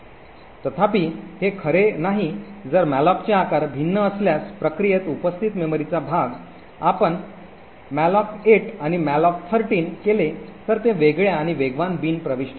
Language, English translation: Marathi, However this is not true if the sizes of the malloc are different for example if you do a malloc 8 and a malloc 13 these happen to fall in different fast bin entries